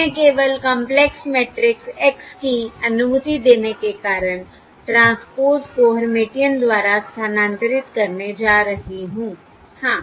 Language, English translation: Hindi, Why I am simply replacing the transpose by hermitian because of to allow complex matrix x